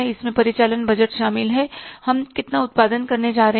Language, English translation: Hindi, It includes the operating budgets that how much production we are going to do